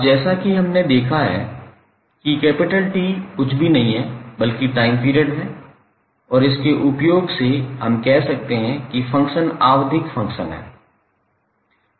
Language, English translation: Hindi, Now, as we have seen that capital T is nothing but time period and using this we can say that the function is periodic function